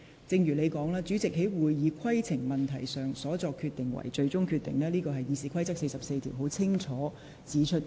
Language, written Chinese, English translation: Cantonese, 正如你所說，主席就會議規程所作決定為最終決定，這在《議事規則》第44條已清楚訂明。, As you have said the decision of the President on a point of order shall be final . This is clearly stipulated in RoP 44